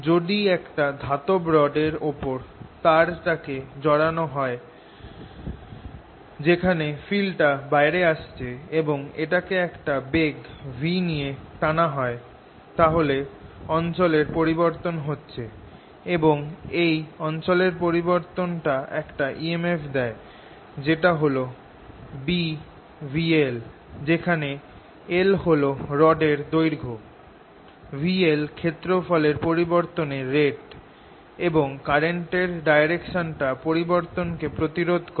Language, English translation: Bengali, if i take a wire and put a rod on this metallic rod in which the field is coming out, and i pull this with velocity v, then the area is changing and this change in area gives me an e m f which is equal to b v times l, where l is the length of this rod, v l gives you the rate of change of area and the direction of current is going to be such that it changes